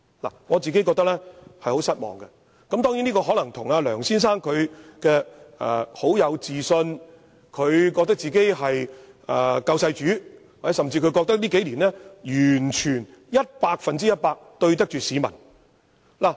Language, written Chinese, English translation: Cantonese, 我個人對此感到非常失望，這可能是因為梁先生個人充滿自信，認為自己是救世主，甚至認為自己在這數年間完全、百分百對得起香港市民。, I for one find this very disappointing . This may be due to the fact that Mr LEUNG has full confidence in himself and considers himself the saviour of Hong Kong . Or he may even think that nothing he has done over the past few years has ever disappointed Hong Kong people